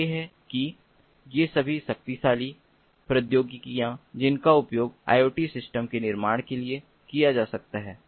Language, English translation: Hindi, so these are that, all these powerful technologies that can be used for building iot systems